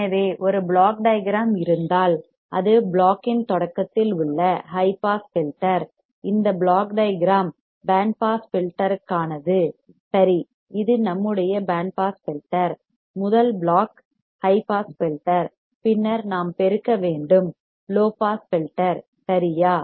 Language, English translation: Tamil, So, if there is a block diagram it is a high pass filter at the starting of the block, this block diagram for the band pass filter alright this is our band pass filter, the first block is high pass filter, then we have to amplify then low pass filter alright